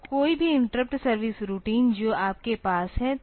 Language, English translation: Hindi, So, any interrupt service routine that you have